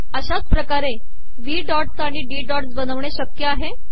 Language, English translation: Marathi, Similarly it is possible to create V dots as well as D dots